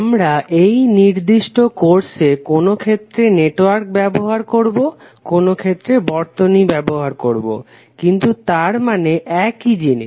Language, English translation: Bengali, So we in this particular course also we will used some time network some time circuit, but that means the same thing